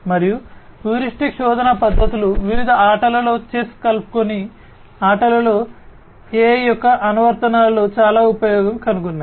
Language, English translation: Telugu, And, heuristic search methods have found lot of use in the applications of AI in games in different games chess inclusive